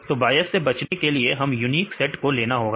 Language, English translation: Hindi, So, in order to avoid the bias right we need to take the unique sets right